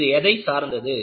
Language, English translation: Tamil, It is dictated by what